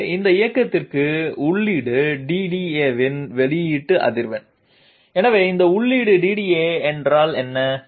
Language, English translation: Tamil, So output frequency of feed DDA for this movement, so what is this feed DDA